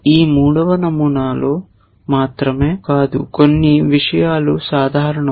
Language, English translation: Telugu, Not only that in this third pattern certain things are common